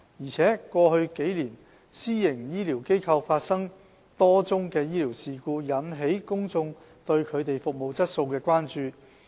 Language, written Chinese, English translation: Cantonese, 況且，過去數年，私營醫療機構發生多宗醫療事故，引起公眾對它們服務質素的關注。, Moreover over the past few years a number of medical incidents have taken place at PHFs thus arousing public concern about on the service quality of PHFs